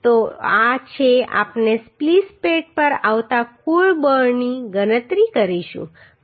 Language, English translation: Gujarati, So this is a we will calculate the total force coming on the splice plate